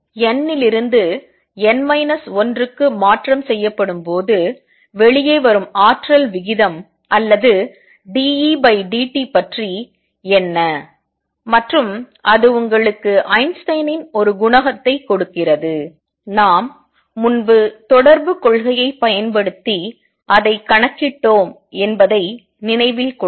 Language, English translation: Tamil, What about the rate of energy coming out or dE dt when transition is made from n to n minus 1 and that gives you Einstein’s a coefficient also, remember we had earlier calculated it using correspondence principle